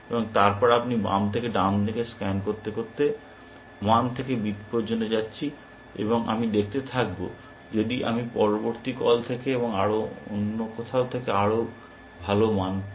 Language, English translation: Bengali, And then as I scan from left to right, going, I go going from 1 to b, I will keep seeing, if I am getting a better value, from the next call and so on